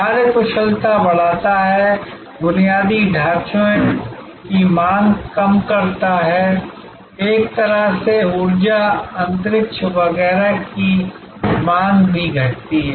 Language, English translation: Hindi, Increases efficiency, decreases demand on infrastructure, in a way also decreases demand on for energy, space and so on